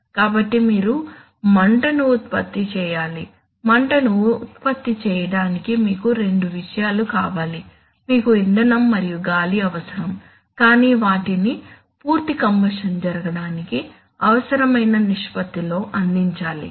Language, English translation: Telugu, So you have to produce flame, for producing flame you need two things, you need the fuel and you need the air, but they must be provided in such a ratio such that complete combustion takes place